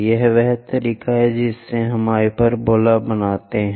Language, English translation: Hindi, This is the way we construct a hyperbola